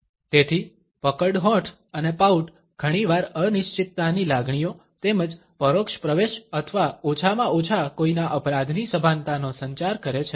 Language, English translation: Gujarati, So, puckered lips and pout often communicate feelings of uncertainty as well as an indirect admission or at least consciousness of one’s guilt